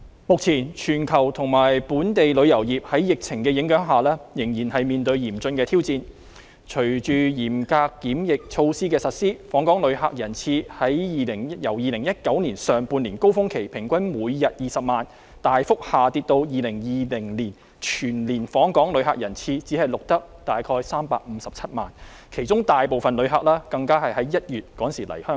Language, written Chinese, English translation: Cantonese, 目前全球和本地旅遊業在疫情影響下，仍然面對嚴峻挑戰，隨着嚴格檢疫措施的實施，訪港旅客人次由2019年上半年高峰期，平均每天20萬人次，大幅下跌至2020年全年訪港旅客人次只錄得約357萬人次，其中大部分旅客是在1月來香港。, At present the global tourism industry is still facing severe challenges under the impact of the epidemic . After the implementation of stringent quarantine measures the daily average visitor arrivals to Hong Kong have significantly dropped from 200 000 during the peak period in the first half year of 2019 to an annual total of 3.57 million in 2020 with the majority of visitors coming to Hong Kong in January